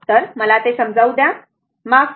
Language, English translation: Marathi, So, let me clear it, sorry